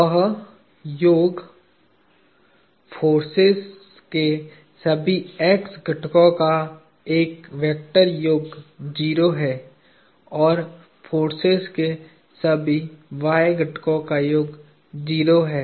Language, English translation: Hindi, That summation, a vector sum of all the x components of the forces is 0 and the summation of all the y components of the forces is 0